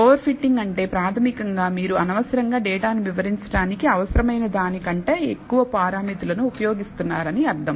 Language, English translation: Telugu, So, over fitting, basically means you are using unnecessarily more parameters than necessary to explain the data